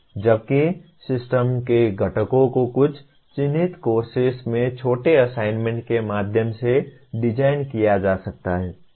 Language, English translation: Hindi, Whereas components of a system can be designed through smaller assignments in some identified courses